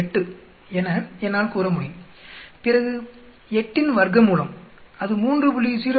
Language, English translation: Tamil, 8 of then the square root of 8, that will come out be 3